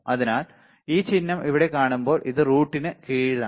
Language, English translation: Malayalam, So, when you see this symbol here right this is under root